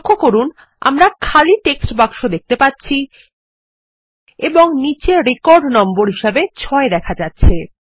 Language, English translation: Bengali, Notice that we see empty text boxes and the record number at the bottom says 6